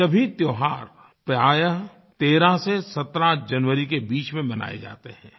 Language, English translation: Hindi, All of these festivals are usually celebrated between 13th and 17thJanuary